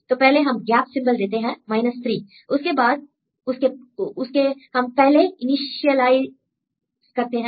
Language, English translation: Hindi, So, first we give a gap symbol of 3, then it is a, we initialize first